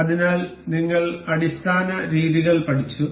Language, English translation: Malayalam, So, we have learnt we have learnt the basic methods